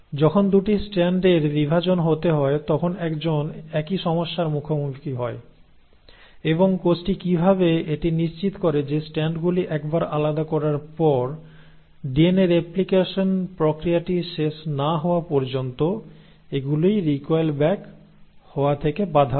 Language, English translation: Bengali, Now the same thing, and same problem one encounters when there is going to be the separation of the 2 strands and how is it that the cell makes sure that once the strands have segregated and separated, they are prevented from recoiling back till the process of DNA replication is over